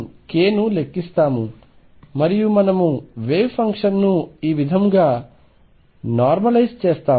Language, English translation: Telugu, So, this is how we count k, and this is how we normalize the wave function